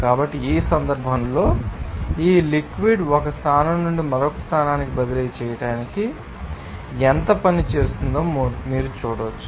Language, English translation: Telugu, So, in this case, you can see that how much work is done by that farm to transferring this fluid from one position to another position